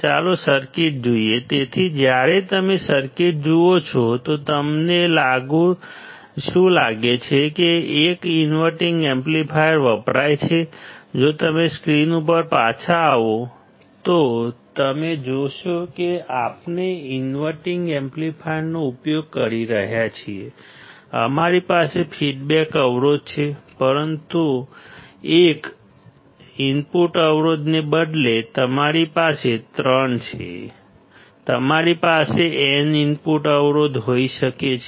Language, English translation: Gujarati, Let us see the circuit; so, when you see the circuit; what do you find is that an inverting amplifier is used; if you come back on the screen, you will see that we are using a inverting amplifier, we have a feedback resistor, but instead of one input resistor; you have three; you can have n input resistors